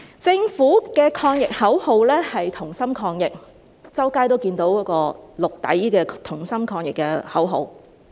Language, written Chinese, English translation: Cantonese, 政府的抗疫口號是"同心抗疫"，我們在四周都看到綠色底的"同心抗疫"海報。, The Governments anti - epidemic slogan is Together We Fight the Virus! . and we can see the Together We Fight the Virus! . posters with a green background everywhere